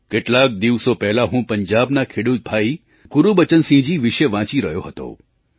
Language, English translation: Gujarati, A few days ago, I was reading about a farmer brother Gurbachan Singh from Punjab